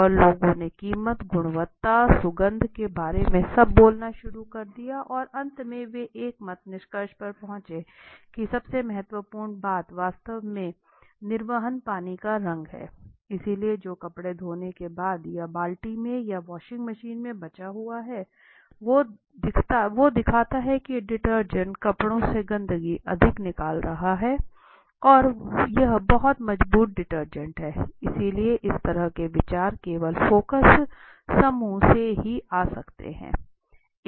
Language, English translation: Hindi, And people started speaking about price, quality, fragrance all this that and finally they came to unanimous conclusion that the most important thing was actually the discharge of the colored water sorry the color of the discharge water so the water that is been discharged as although let’s say after washing the cloth or the water left out in the bucket or in the washing machine now the water that is getting discharged the darkness of it says that this detergent is taking out more you know dirt out of the clothes and thus it is a very stronger detergent right so this kind of ideas can only come through in a focus group right so price impressions